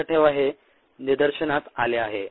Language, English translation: Marathi, remember, this has been observed